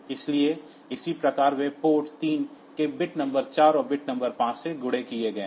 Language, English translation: Hindi, So, correspondingly they are multiplexed with port 3s bit number 4 and bit number 5